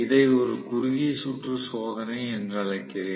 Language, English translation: Tamil, Now, I am calling this as short circuit test